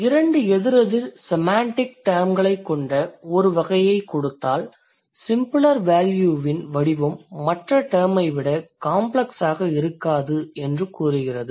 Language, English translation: Tamil, It says given a category with two opposing semantic terms, the form of the simpler value tends to be not more complex than that of the other term